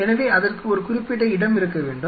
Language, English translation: Tamil, So, we have to have a designated spot for it